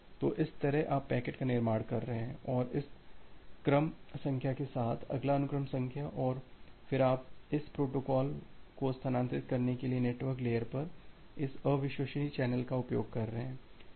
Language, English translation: Hindi, So, that way you are constructing the packet and with this sequence number next sequence number and then you are utilizing this unreliable channel at the network layer to transfer this protocol